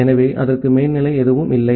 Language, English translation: Tamil, So, it does not have any overhead